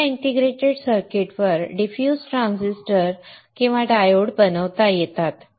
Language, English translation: Marathi, Now diffuse transistors or diodes can be made on this integrated circuit